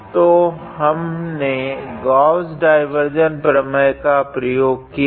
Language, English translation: Hindi, So, we can use Gauss divergence theorem